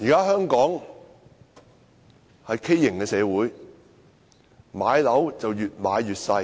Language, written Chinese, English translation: Cantonese, 香港現時是一個畸形的社會，房子越買越小。, Hong Kong is now an abnormal society; people are buying smaller and smaller flats